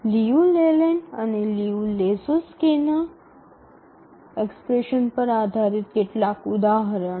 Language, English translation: Gujarati, So now let's look at some examples based on the Liu Leland and Liu Lehudski's expressions